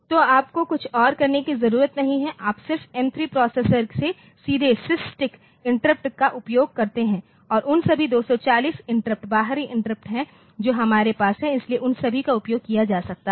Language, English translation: Hindi, So, you do not need to do anything else you just use the SysTick interrupt from the M3 processor directly and there are external interrupts all those 240 interrupts that we have, so, all of them can be utilized